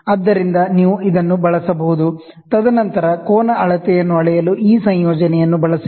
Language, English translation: Kannada, So, you can use this also, and then use this combination to measure the angle measurement